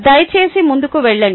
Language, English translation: Telugu, please go ahead